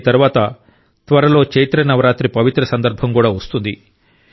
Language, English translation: Telugu, After this, soon the holy occasion of Chaitra Navratri will also come